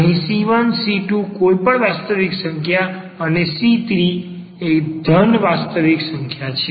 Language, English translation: Gujarati, So, c 1 c 2 any real number and the c 3 is a positive, a non negative real number